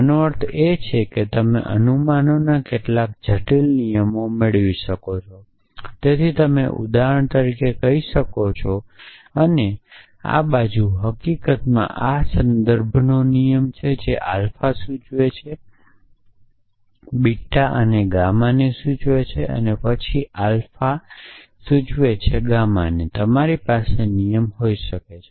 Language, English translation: Gujarati, This means you can derive sort of complex rules of inference, so you can say for example that and this side in fact this is a rule of inference that is alpha implies beta and beta implies gamma, then alpha implies gamma, you can have a rule of inference like this